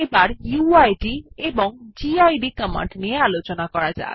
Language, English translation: Bengali, Let us now talk about the uid and gid commands